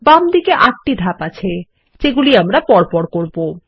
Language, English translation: Bengali, On the left, we see 8 steps that we will go through